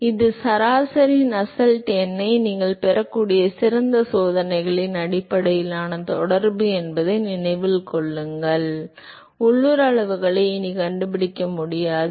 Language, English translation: Tamil, So, that is given by: So, note that it is a correlation based on experiments to the best you can get is the average Nusselt number, you will not able to find the local quantities anymore